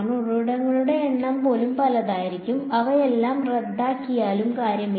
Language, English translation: Malayalam, Even the number of sources can be as many it does not matter they all cancel off